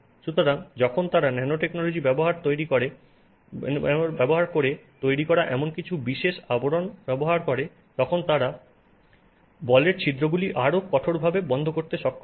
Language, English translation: Bengali, So, when you have some special coatings that they have made using nanotechnology, they are able to close the pores in the ball even more effectively